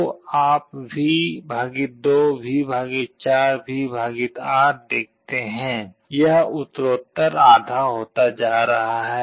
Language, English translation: Hindi, So, you see V / 2, V / 4, V / 8; it is progressively becoming half